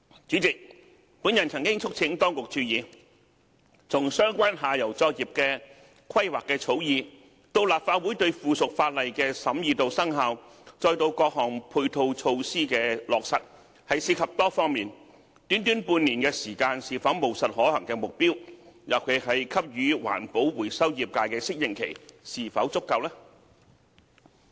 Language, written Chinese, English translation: Cantonese, 主席，我曾促請當局注意，從相關下游作業的規劃的草擬、立法會對附屬法例的審議和生效，至到各項配套措施的落實，涉及多方面的問題，短短半年的時間是否務實可行的目標，尤其是給予環保回收業界的適應期是否足夠？, President I have urged the Administration to pay attention to the fact that all matters ranging from the drafting of plans for downstream operations the scrutiny by the Legislative Council of subsidiary legislation and its commencement to the implementation of various ancillary measures involve issues on many fronts . Is half a year a pragmatic and feasible goal and in particular is the adaptation period given to the recycling trade adequate?